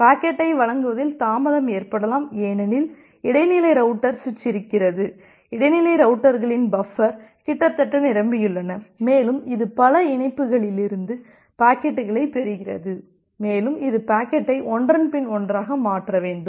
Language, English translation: Tamil, There can be delay in delivery the packet because it may happen that the intermediate router switch are there, that intermediate routers their buffer is almost full and it is receiving packets from multiple other links and it need to transfer the packet one after another